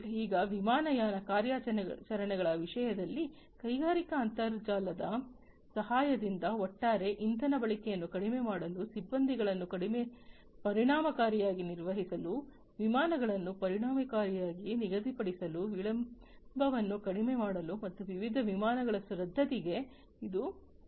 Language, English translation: Kannada, Now, in terms of airline operations, with the help of the industrial internet it is now possible and it has become possible, to reduce the overall fuel consumption, to effectively manage the crews, to schedule the flights effectively, and to minimize delays, and cancellations of different flights